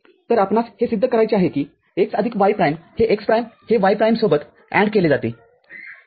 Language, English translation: Marathi, So, what we have to proof is x plus y prime is x prime anded with y prime ok